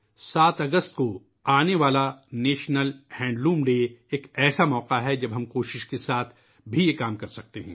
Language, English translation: Urdu, The National Handloom Day on the 7th of August is an occasion when we can strive to attempt that